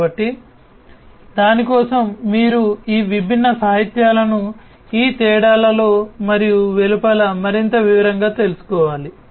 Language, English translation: Telugu, So, so basically you know for that also you need to go through these different literatures in these differences and outside in more detail